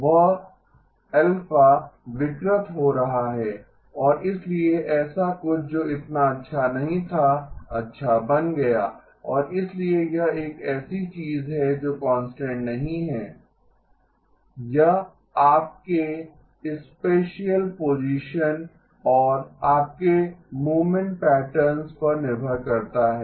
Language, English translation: Hindi, That alpha is getting perturbed and therefore something that was not so good became good and therefore this is something that is not a constant depends on your spatial position and your movement patterns